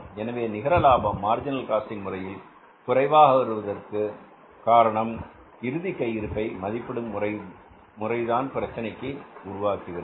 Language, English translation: Tamil, So net profit is lesser under the marginal costing because valuation of the closing stock creates a problem